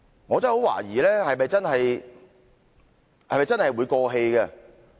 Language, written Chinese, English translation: Cantonese, 我真的很懷疑是否真的會過氣？, I really doubt if things will really fade and be bygones